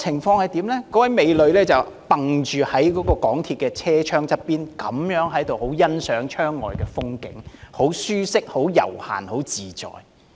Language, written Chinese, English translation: Cantonese, 那位美女依傍着港鐵的車窗，欣賞窗外的風景，好不舒適、悠閒、自在。, Leaning against a window on an MTR train the beautiful lady beheld the view outside the window in sheer comfort relaxation and ease